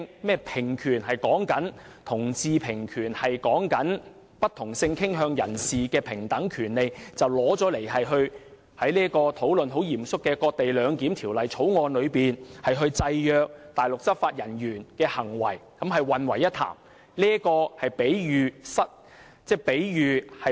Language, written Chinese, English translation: Cantonese, 所謂同志平權說的是不同性傾向人士的平等權利，他以此與現正很嚴肅地討論如何在"割地兩檢"《條例草案》中制約內地執法人員的行為混為一談，是比喻不倫。, The so - called equal rights for LGBT refer to equal rights for people with different sexual orientations and so his attempt to confuse this issue with the present solemn discussion on how to restrict the conduct of Mainland law enforcement officers under this Bill which cedes Hong Kongs territory to bring about co - location is to make an inappropriate analogy